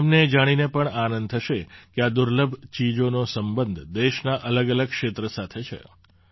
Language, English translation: Gujarati, You will also be happy to know that these rare items are related to different regions of the country